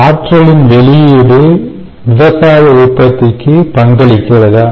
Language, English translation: Tamil, does output of energy contribute to agricultural ah output